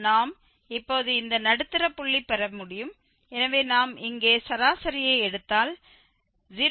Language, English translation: Tamil, So, the x5 we can get now just the middle point of this so we will take the average here and the average will give this 0